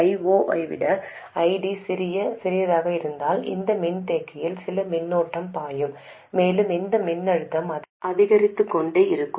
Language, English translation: Tamil, If ID is smaller than I 0, some current will be flowing into this capacitor and this voltage will go on increasing